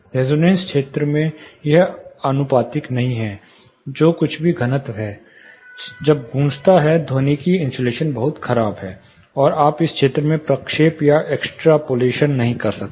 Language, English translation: Hindi, In the resonance region this is not proportional, whatever thick, whatever density it is when resonates the acoustic insulation is very poor, and you cannot interpolate or extrapolate in this region